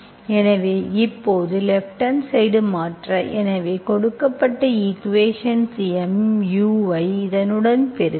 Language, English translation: Tamil, So now I go and replace my left hand side, so given equation I multiply mu with this